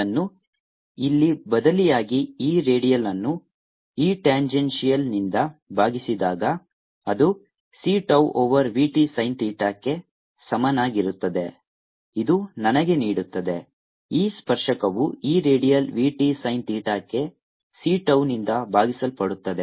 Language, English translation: Kannada, substituting this here, i get e redial divided by e tangential is equal to c tau over v t sin theta, which give me e tangential is equal to e radial v t sin theta divided by c tau